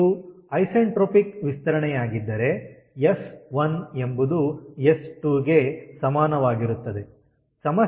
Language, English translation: Kannada, so if it is isentropic expansion, then s one is equal to s two and s two